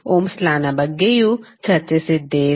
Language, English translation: Kannada, We also discussed the Ohm’s Law